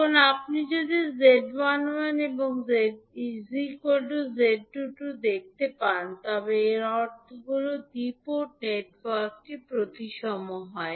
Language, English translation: Bengali, Now in case, when you see that Z11 is equal to Z22, it means that the two port network is symmetrical